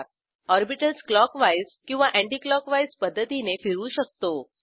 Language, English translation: Marathi, We can rotate the orbitals clockwise or anticlockwise